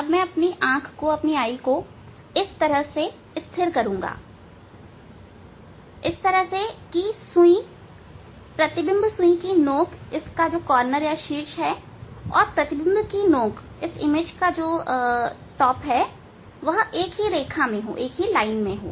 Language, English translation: Hindi, Now, I will set my eye in such a way, so this tip of this needle image needle and the tip of the tip of the image, they are on the same line